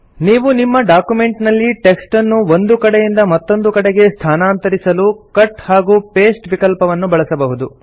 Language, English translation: Kannada, You can also use the Cut and paste feature in order to move a text from one place to another in a document